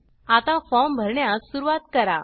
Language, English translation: Marathi, Now, start filling the form